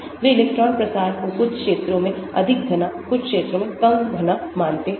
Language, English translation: Hindi, they consider electron spread out, more dense in some areas, less dense in some areas